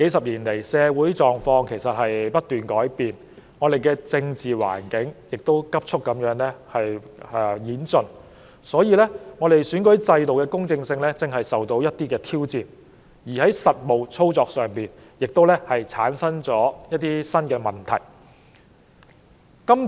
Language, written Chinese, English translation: Cantonese, 然而，社會狀況過去數十年來不斷改變，香港的政治環境亦急速演進，以致選舉制度的公正性如今受到挑戰，在實務操作上亦產生了一些新問題。, However the constant changes in the social conditions over the past few decades and the swift transformation of the political landscape in Hong Kong have now posed challenges to the fairness of the electoral system and created some new problems in practical operation